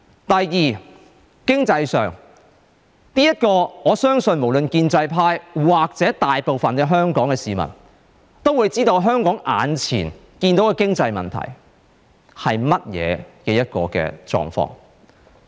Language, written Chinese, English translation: Cantonese, 第二，經濟上，我相信無論建制派或大部分香港市民，都會知道香港眼前的經濟問題是甚麼。, Second economically speaking I believe the pro - establishment camp or most of Hong Kong people should be aware of the current economic problem in Hong Kong